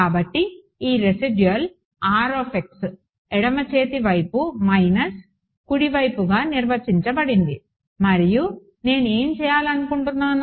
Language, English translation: Telugu, So, this residual R of x is defined as left hand side minus right hand side and then what do I want to do